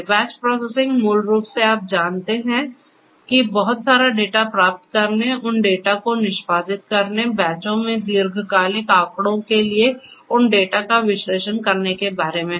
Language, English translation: Hindi, Batch processing basically you know talks about getting lot of data, executing those data, analyzing those data for long term statistics in batches, right